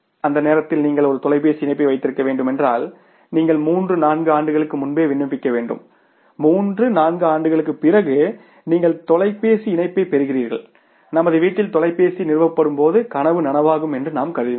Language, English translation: Tamil, At that time if you had to have a telephone connection you had to apply three four years in advance after three four years you were getting the telephone connection and when telephone was being installed at our home we were considering a dream come true